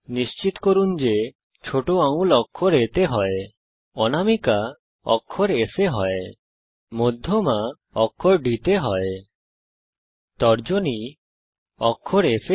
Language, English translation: Bengali, Ensure that the little finger is on alphabet A Ring finger is on the alphabet S, Middle finger on alphabet D, Index finger on alphabet F